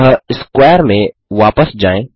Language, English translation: Hindi, So, go back to square one